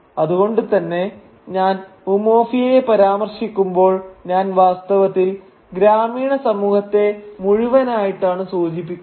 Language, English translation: Malayalam, So when I am referring to Umuofia, I am actually referring to this entire village community